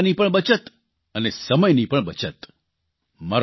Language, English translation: Gujarati, That is saving money as well as time